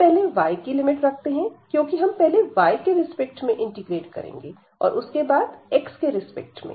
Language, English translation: Hindi, So, first we will put the limit here for y, because we are in going to integrate first with respect to y for x for instance in this case now